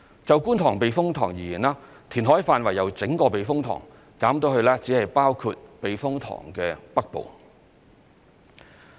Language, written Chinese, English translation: Cantonese, 就觀塘避風塘而言，填海範圍由整個避風塘減至只包括避風塘的北部。, The extent of reclamation was reduced from the entire Kwun Tong Typhoon Shelter to only its northern part